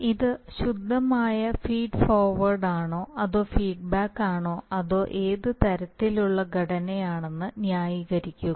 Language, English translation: Malayalam, So justify whether it is a pure feed forward or for feedback or what sort of a structure it is